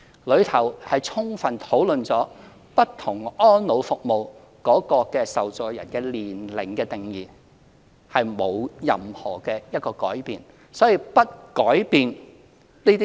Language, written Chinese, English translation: Cantonese, 該方案充分討論了不同安老服務的受助人的年齡定義，沒有任何改變。, The plan provided a thorough discussion on the age definitions for recipients of different elderly care services and no change was proposed